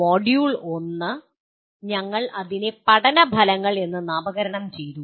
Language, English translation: Malayalam, Module 1 is, we titled it as “Learning Outcomes”